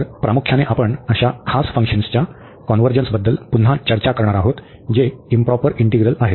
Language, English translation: Marathi, So, mainly we will be discussing again the convergence of such a special functions which are improper integrals